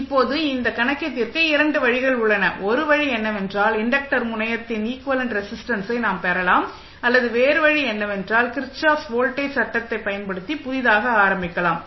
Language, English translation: Tamil, Now, here we have two ways to solve this problem, one way is that we can obtain the equivalent resistance of the inductor terminal, or other way is that, we start from scratch using Kirchhoff voltage law